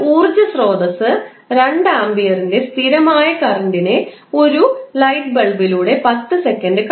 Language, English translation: Malayalam, An energy source forces a constant current of 2 ampere for 10 seconds to flow through a light bulb